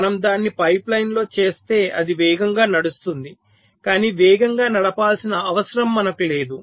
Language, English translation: Telugu, so if we make it in a pipe line then it can be run faster, but we do not need it to run faster